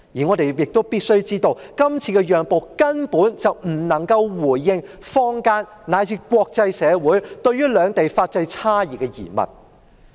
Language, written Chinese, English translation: Cantonese, 我們必須知道，這次讓步根本不能回應坊間以至國際社會對於兩地法制差異的疑問。, We must know that such a compromise can hardly address the queries raised in the local and international community about the differences between the legal systems of the two places